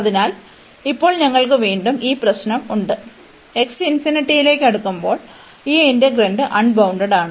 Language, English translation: Malayalam, So, now we have this problem again, when x is approaching to infinity, this integrand is approaching to is getting unbounded